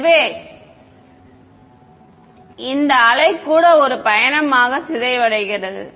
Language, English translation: Tamil, So, this wave also decay as a travels